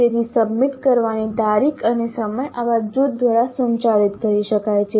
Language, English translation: Gujarati, So date and time of submission can be communicated through such a group